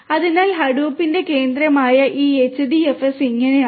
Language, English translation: Malayalam, So, this how this HDFS which is central to Hadoop looks like